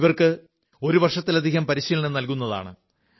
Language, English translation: Malayalam, They will be trained for over a year